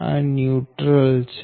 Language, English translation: Gujarati, this is neutral right